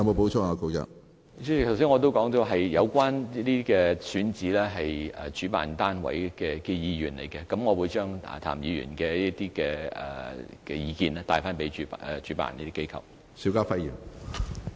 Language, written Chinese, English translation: Cantonese, 主席，我剛才已經說了，有關選址是主辦單位的意願，但我會將譚議員的意見向主辦機構轉達。, President I have already said that the venue was picked by the organizer but I will relay Mr TAMs views to the organizer